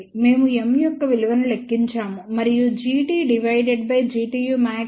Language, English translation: Telugu, We had calculated the value of M and we had seen that G t divided by G tu max had a range from minus 0